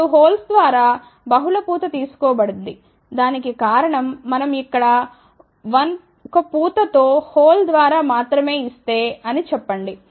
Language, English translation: Telugu, Now, multiple plated through holes have been taken, the reason for that is if we just put only let us say 1 plated through hole over here